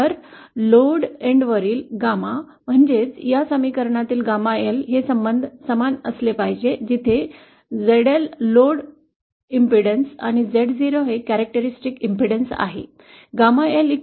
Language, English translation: Marathi, So, the Gamma at the load end, that is Gamma L from this equation should be equal to this relationship, where ZL the load impedance and Z0 is the characteristic impedance